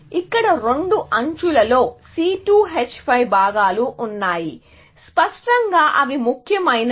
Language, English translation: Telugu, Here, the two edges have the C2 H5 components; obviously, that matters